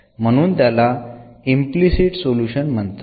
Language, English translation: Marathi, And therefore, this is called the implicit solution